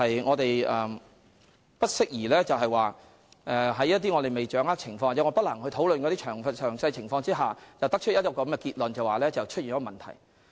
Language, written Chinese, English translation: Cantonese, 我們不適宜在未掌握情況或不能詳細討論情況時作出結論，認為存在問題。, When we have yet to grasp the circumstances or when we are not in a position to discuss the circumstances in detail it is not appropriate for us to draw the conclusion that something has gone wrong